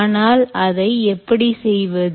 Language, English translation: Tamil, how do you enable that